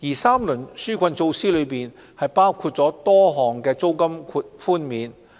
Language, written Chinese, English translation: Cantonese, 三輪紓困措施包括多項租金寬免。, The three rounds of relief measures included a number of rental concessions